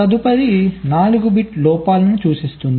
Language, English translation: Telugu, next four bit indicate these faults